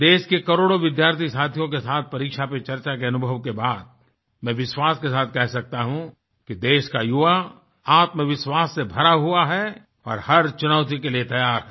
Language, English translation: Hindi, After my experience with millions of students of the country through the platform of 'Pariksha Pe Charcha', I can say with confidence that the youth of the country is brimming with selfconfidence and is ready to face every challenge